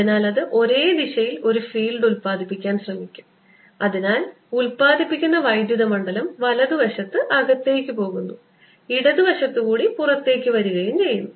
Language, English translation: Malayalam, so it'll try to produce a field in the same direction and therefore the electric field produced will be such that it goes in on the right side i am making it on the solenoid and comes out on the left side